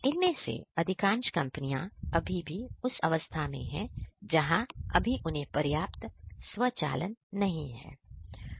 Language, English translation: Hindi, So, most of this companies are still in the primitive stages they are they still do not have you know adequate automation in them